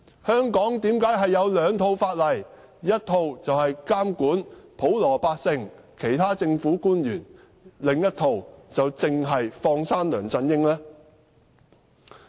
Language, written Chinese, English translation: Cantonese, 香港為何有兩套法例？一套監管普羅百姓和其他政府官員，另一套卻只是放生梁振英呢？, How come there is one set of law in Hong Kong to regulate the general public and other public officers and another set of law to let LEUNG Chun - ying off the hook?